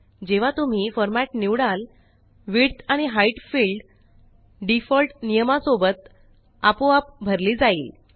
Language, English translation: Marathi, When you select the format, the Width and Height fields are automatically filled with the default values